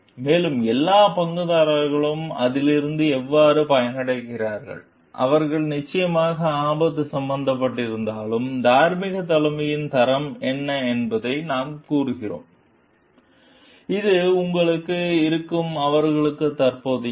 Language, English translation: Tamil, And the how the like all the stakeholders get benefited from it, though like they are definitely risk involved, we will tell what is the quality of moral leadership, which is their present within you